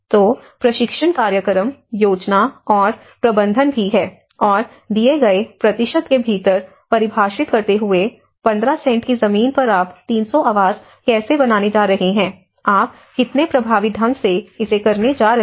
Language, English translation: Hindi, So there is also training programs, the planning and management and also defining within the given cent of land, 15 cents of land, how you are going to build 300 housing, how effectively you are going to go